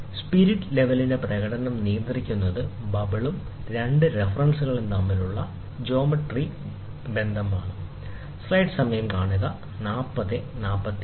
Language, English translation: Malayalam, The performance of the spirit level is governed by geometric relationship between the bubble and the two references